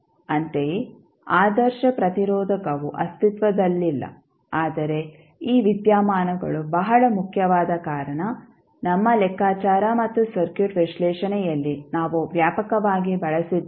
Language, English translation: Kannada, Similarly, ideal resistor does not exist but as these phenomena are very important and we used extensively in our calculations and circuit analysis